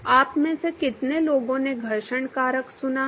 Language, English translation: Hindi, How many of you heard friction factor